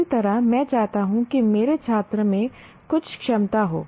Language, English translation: Hindi, Similarly, I want my student to have certain capability